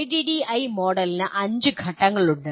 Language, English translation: Malayalam, ADDIE Model has 5 phases